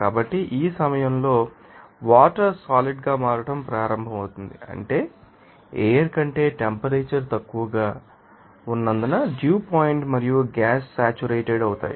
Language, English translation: Telugu, So, at this point water begins to condense that is that that the dew point and the gas remains saturated as the temperature is lower to the air